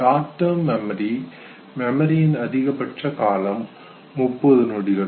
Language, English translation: Tamil, Remember the terminal duration for short term memory was thirty seconds